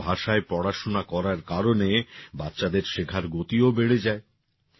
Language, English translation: Bengali, On account of studies in their own language, the pace of children's learning also increased